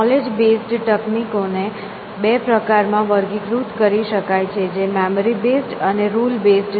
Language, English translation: Gujarati, The knowledge base techniques themselves could be classified into two kinds, which is memory based and rule based